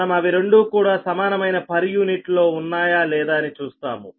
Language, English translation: Telugu, we will see that both are same in per unit, right hm